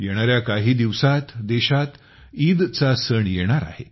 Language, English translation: Marathi, In the coming days, we will have the festival of Eid in the country